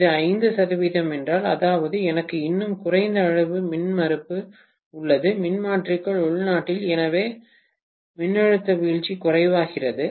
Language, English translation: Tamil, If it is 5 percent, that means I have even lesser amount of impedance internally within the transformer, so the voltage drop becomes less and less